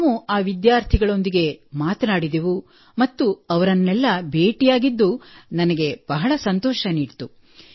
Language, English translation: Kannada, So there we interacted with those students as well and I felt very happy to meet them, many of them are my friends too